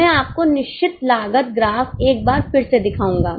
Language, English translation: Hindi, I'll just show you the fixed cost graph once again